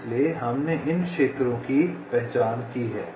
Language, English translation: Hindi, in this way you define the zones